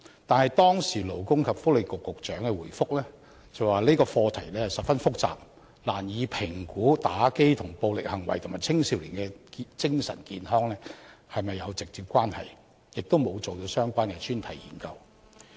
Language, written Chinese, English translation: Cantonese, 但是，當時勞工及福利局局長回覆說，這個課題十分複雜，難以評估玩遊戲機跟暴力行為和青少年的精神健康是否有直接關係，亦沒有進行相關的專題研究。, In his reply the then Secretary for Labour and Welfare said this was a very complex issue and was thus difficult to assess whether violent crimes and adolescent mental health were directly related to the playing of electronic games . As a result no focus study was conducted . But the Blue Whale game we are facing now is full of psychological calculation